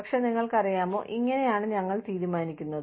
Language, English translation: Malayalam, But, you know, this is how, we decide